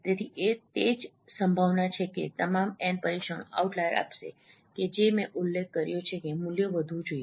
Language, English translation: Gujarati, So that is what that probability that all n trials have an out layer as I mentioned, that value should be raised